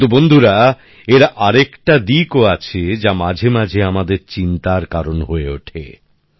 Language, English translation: Bengali, But friends, there is another aspect to it and it also sometimes causes concern